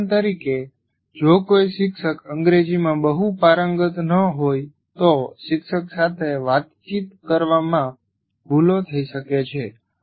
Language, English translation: Gujarati, For example, if a teacher is not very fluent in English, there can be errors in communicating by the teacher